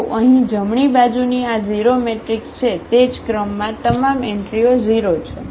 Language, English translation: Gujarati, So, here the right hand side this is a 0 matrix so, the same order having all the entries 0